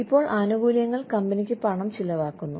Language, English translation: Malayalam, Now, benefits cost the company money